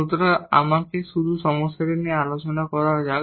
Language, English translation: Bengali, So, let me just discuss the problem